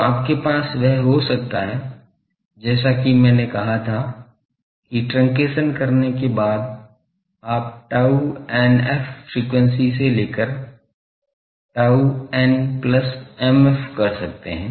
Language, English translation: Hindi, So, you can have that, as I said that after truncation you can have that from tau n f frequency to tau some other n plus m f